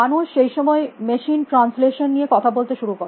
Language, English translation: Bengali, People also started talking about machine translation along that time